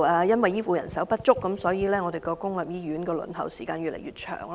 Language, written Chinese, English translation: Cantonese, 由於醫護人手不足，本港公立醫院的輪候時間越來越長。, Due to the shortage of health care manpower the waiting time in local public hospitals is getting longer and longer